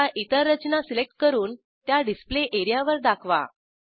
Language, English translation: Marathi, Select and place other structures on the Display area, on your own